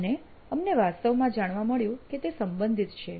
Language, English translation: Gujarati, And we actually found out that this was related